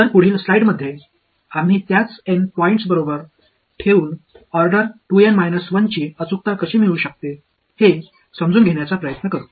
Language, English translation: Marathi, So, the next few slides, we will try to understand how we can get an accuracy of order 2 N minus 1 keeping the same N points ok